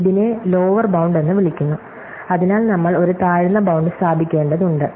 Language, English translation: Malayalam, This is what is called as lower bound, so we need to establish a lower bound